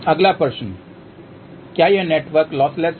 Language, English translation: Hindi, Next question is this network lossless